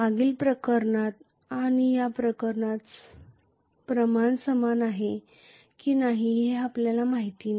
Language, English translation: Marathi, We do not know whether the quantity is the same in the previous case and this case